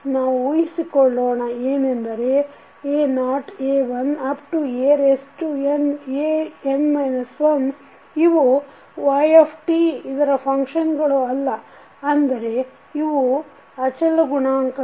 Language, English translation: Kannada, We will assume that the a1 to a naught to a1 and an minus 1 are not the function of yt means they are the constants coefficient